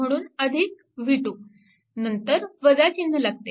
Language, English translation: Marathi, So, this is v 1, right